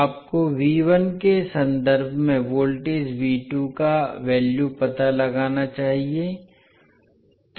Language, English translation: Hindi, You have to find out the value of voltage V2 in terms of V1